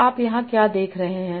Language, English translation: Hindi, So what you are seeing here